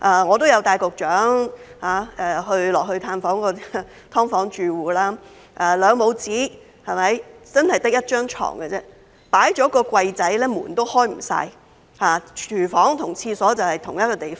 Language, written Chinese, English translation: Cantonese, 我曾經帶局長探訪"劏房"住戶，兩母子只有一張床，放下一個小櫃後連門都不能盡開，廚房和廁所也在同一個地方。, I visited an SDU household with the Secretary; there was only one bed for a mother and her son and the door could not be wide open with a small cupboard behind it and the kitchen and toilet were in the same place